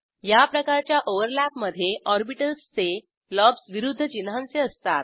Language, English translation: Marathi, In this type of overlap, lobes of orbitals are of opposite sign